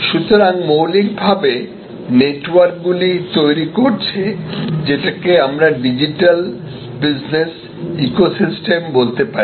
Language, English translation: Bengali, So, fundamentally the networks are creating what we call digital business ecosystem